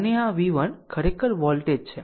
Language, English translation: Gujarati, And this v 1 actually this is the voltage right